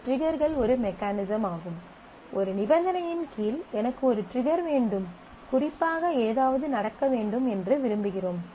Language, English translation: Tamil, So, triggers are a mechanism by which you can set that under this condition, I want a trigger, I want something specifically to happen